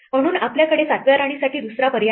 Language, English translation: Marathi, So, we have no other choice for the 7th queen